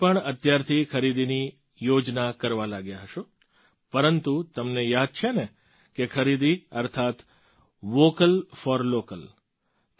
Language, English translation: Gujarati, All of you must have started planning for shopping from now on, but do you remember, shopping means 'VOCAL FOR LOCAL'